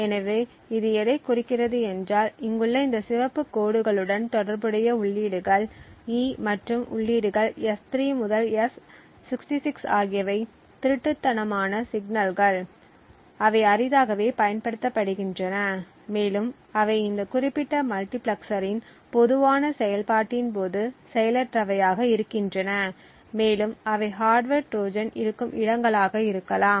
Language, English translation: Tamil, So what this indicates is that the inputs E and the inputs S3 to S66 corresponding to these red lines over here are stealthy signals, so they are rarely used and most likely they are inactive during the general operation of this particular multiplexer and therefore they could be potential venues where a hardware Trojan may be inserted